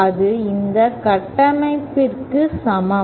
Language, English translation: Tamil, Then that is equivalent to this structure